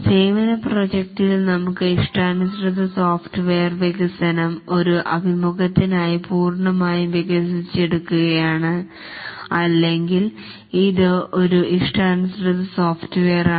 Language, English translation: Malayalam, And in the services project we have custom software development, develop entirely for a customer, or it's a custom software but then you tailor an existing software